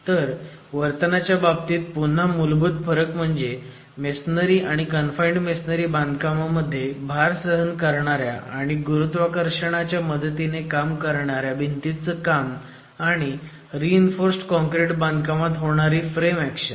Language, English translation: Marathi, So, again fundamental difference in terms of behaviour would be you are looking at load bearing gravity walls in a masonry construction and in the confined masonry construction versus framing action which is available in a reinforced concrete construction